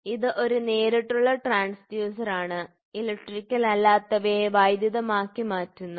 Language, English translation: Malayalam, So, this is a direct transducer direct transducer; so, converts non electrical into electrical